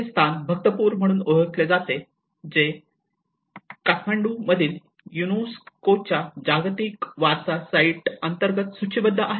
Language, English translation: Marathi, This place is known as Bhaktapur which is listed under the UNESCO world heritage site in Kathmandu